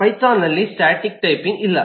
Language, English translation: Kannada, there is no static typing in python